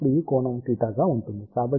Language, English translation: Telugu, So, this will be now this angle is theta